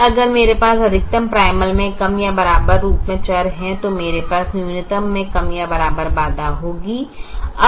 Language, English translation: Hindi, and if i have a less than or equal to variable in the maximization primal, we have a less than or equal to constraint in the minimization